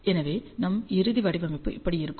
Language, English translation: Tamil, So, our final design will be like this